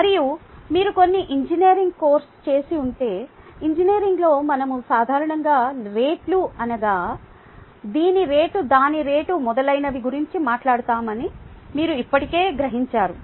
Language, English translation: Telugu, ok, and if you done some engineering course, you would already realize that in engineering, we typically talk about rates rate of this, rate of that, rate of this, and so on, so forth and it is already a part of you